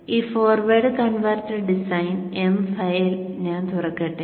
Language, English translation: Malayalam, Let me open this forward converter design file